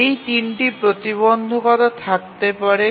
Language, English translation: Bengali, So these are the three constraints